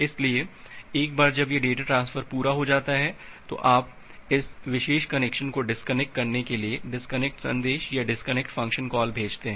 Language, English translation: Hindi, So, once this data transfer is complete, then you send the disconnect message or disconnect function call to disconnect this particular connection